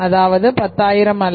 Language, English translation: Tamil, They are not paying 10,000